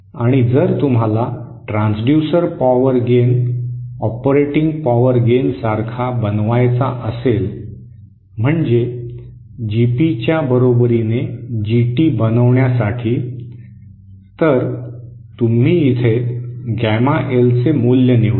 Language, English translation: Marathi, And if you want to make the transducer power gain equal to the operating power gain that is for making GT equal to GP, so you choose the value of gamma L here